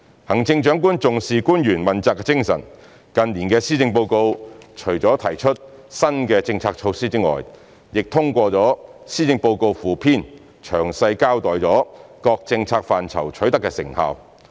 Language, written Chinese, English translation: Cantonese, 行政長官重視官員問責精神，近年的施政報告除了提出新的政策措施外，亦通過施政報告附篇詳細交代各政策範疇取得的成效。, The Chief Executive attaches great importance to the spirit of accountability of officials . In recent years besides bringing up new policy initiatives in the policy address details of the achievements in various policy areas are also explained in the supplement of the policy address